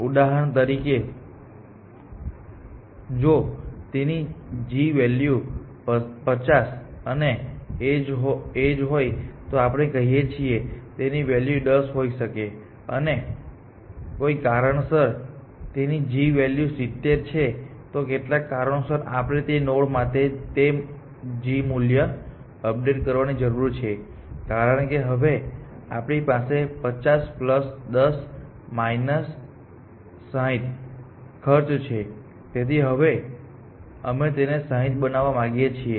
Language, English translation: Gujarati, So, for example, if the cost if the g value of this is let us say 50, and the edge this edge is let us say 10 and if this g value was 70, some for some reason then we need to update that g value for that node, because now we have a cost of 50 plus 10 – 60, so we want to make this 60